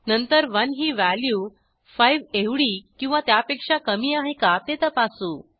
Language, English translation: Marathi, Then we check whether 1 is less than or equal to 5